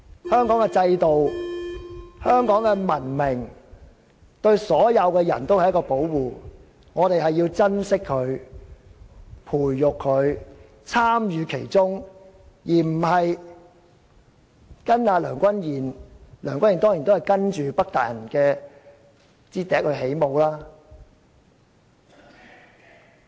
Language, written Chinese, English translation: Cantonese, 香港的制度、香港的文明，對所有人也是一種保護，我們要珍惜、培育和參與其中，而不是跟隨梁君彥——梁君彥當然也只是跟隨北大人的笛聲起舞。, Its system and civilization is a kind of protection for everyone . We should treasure nurture and participate in it rather than following Andrew LEUNG―of course Andrew LEUNG is merely dancing to the beat of the Northern Lords